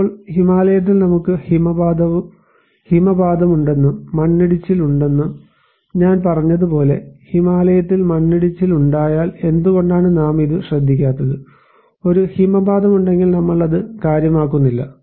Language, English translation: Malayalam, Now, as I said that we have avalanches and we have landslides in Himalayas, we do not care why we do not care, if there is an avalanche, if there landslides in Himalaya